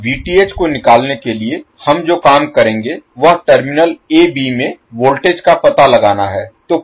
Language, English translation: Hindi, Now to find the Vth, what we will do will find the value of voltage across the terminal a b